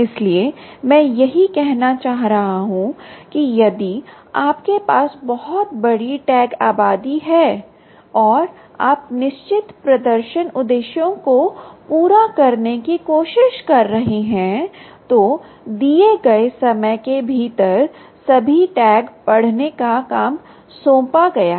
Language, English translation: Hindi, so that s what i was trying to say, which means, if you have a very large tag population, if you have a very large tag population, um, and you are trying to meet certain performance objectives of reading all tags within a given time that is assigned to you, ah, it is not going to